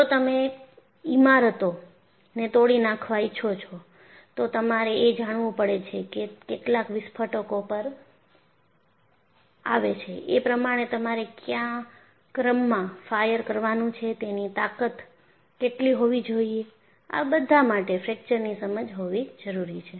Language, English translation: Gujarati, And if you want to demolish a building, you should know how much detonator, in which sequence you have to fire,what should be the strength of it all these require understanding a fracture